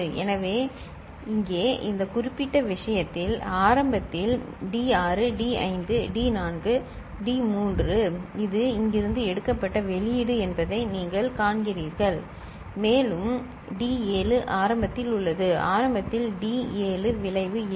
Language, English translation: Tamil, So, here in this particular case so, in the beginning D6 D5 D4 D3 you see this is the output this is taken from here right and D7 is also there first of all in the beginning D7 is not of consequence